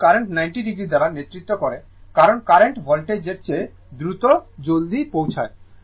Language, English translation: Bengali, And current is leading by 90 because reaching is faster than the voltage